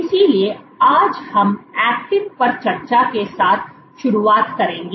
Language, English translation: Hindi, So, today we will get started with discussing actin